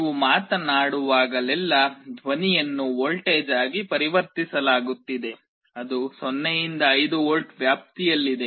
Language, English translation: Kannada, Whenever you are speaking sound is being converted into a voltage, which is in the 0 to 5 volts range